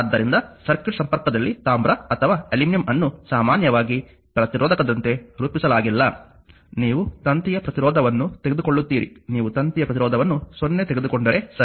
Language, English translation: Kannada, So, in circuit connection copper or aluminum is not usually modeled as a resistor, you will take resistance of the wire in the if you take resistance of wire is 0, right